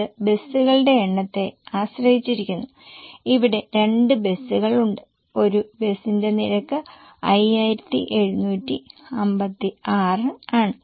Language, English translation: Malayalam, There are two buses and one bus costs 5756